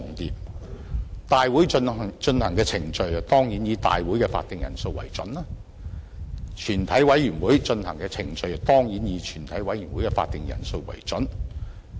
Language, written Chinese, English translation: Cantonese, 立法會大會進行的程序當然以大會的會議法定人數為準，而全委會進行的程序當然以全委會的會議法定人數為準。, When a procedure is handled in the Legislative Council the quorum required is certainly that of the Legislative Council; and when a procedure is handled in a committee of the whole Council the quorum required is certainly that of the committee